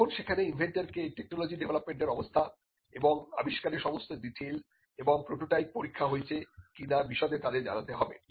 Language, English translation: Bengali, Their inventors are required to provide details such as, stage of development of the technology and invention and whether or not a prototype has been tested